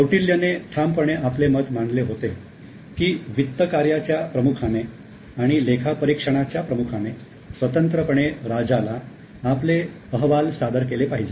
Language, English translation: Marathi, Coutill has categorically stated that the head of finance and the head of audit should independently and separately report to the king